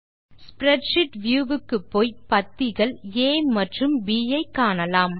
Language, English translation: Tamil, Let us move the spreadsheet view so we can see columns A and B